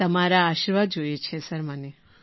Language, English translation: Gujarati, I need your blessings